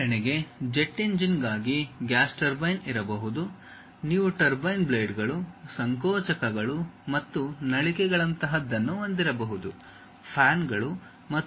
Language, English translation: Kannada, For example, there is a gas turbine perhaps maybe for a jet engine, you might be having something like turbine blades, compressors and nozzles, fans and other kind of things are there